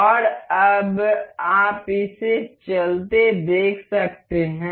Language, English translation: Hindi, And now you can see this moving